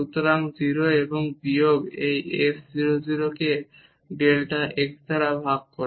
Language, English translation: Bengali, So, 0 and minus this f 0 0 divided by delta x